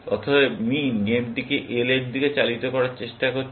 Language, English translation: Bengali, Therefore, min is trying to drive the game towards L